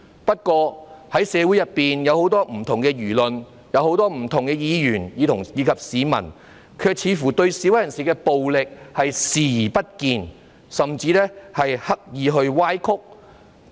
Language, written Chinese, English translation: Cantonese, 不過，社會上有很多不同輿論、很多不同議員及市民，卻似乎對示威人士的暴力行為視而不見，甚至刻意歪曲。, However it seems that many comments Members of this Council and members of the public have disregarded the violent acts of the protesters and even deliberately distorted them